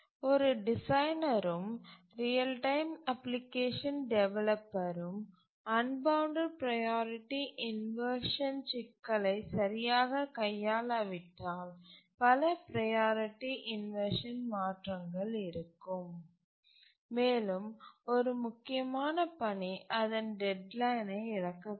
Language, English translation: Tamil, Let me repeat again that unless a designer and application, real time application developer handles the unbounded priority inversion problem properly, then there will be too many priority inversions and a critical task can miss its deadline